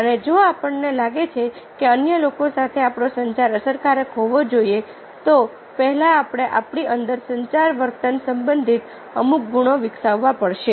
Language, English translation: Gujarati, and if we feel that our communication with others ah should be effective, first we have to develop certain qualities within ourselves related to communication behavior